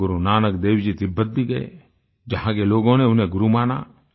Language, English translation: Hindi, Guru Nanak Dev Ji also went to Tibet where people accorded him the status of a Guru